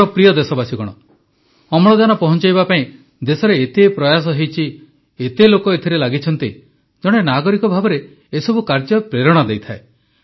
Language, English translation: Odia, My dear countrymen, so many efforts were made in the country to distribute and provide oxygen, so many people came together that as a citizen, all these endeavors inspire you